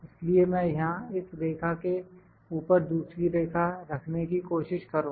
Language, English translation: Hindi, So, I will try to put another line here just above this line